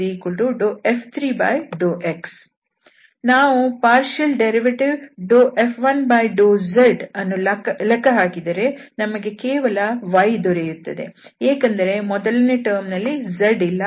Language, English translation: Kannada, So, the partial derivative of F 1 with respect to z if we compute we will get only y because first term does not have z